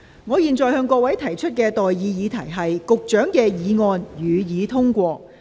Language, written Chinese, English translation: Cantonese, 我現在向各位提出的待議議題是：教育局局長動議的議案，予以通過。, I now propose the question to you and that is That the motion moved by the Secretary for Education be passed